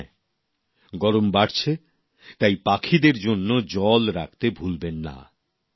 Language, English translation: Bengali, Summer is on the rise, so do not forget to facilitate water for the birds